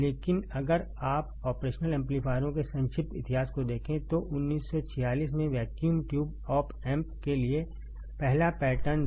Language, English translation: Hindi, But if you see the brief history of operational amplifiers the first pattern of for vacuum tube op amp was in 1946, 1946